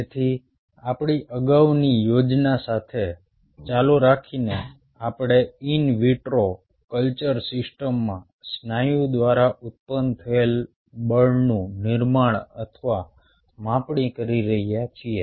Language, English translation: Gujarati, so, continuing with our previous ah plan, we are generating or measuring the force generated by the muscle in an in vitro culture system